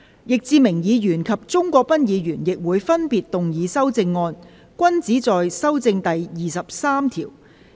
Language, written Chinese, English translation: Cantonese, 易志明議員及鍾國斌議員亦會分別動議修正案，均旨在修正第23條。, Mr Frankie YICK and Mr CHUNG Kwok - pan will also move amendments respectively both of which seek to amend clause 23